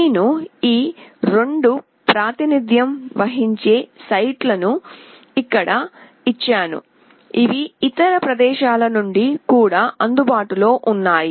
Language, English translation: Telugu, I have given these 2 representative site here, these are available from other places also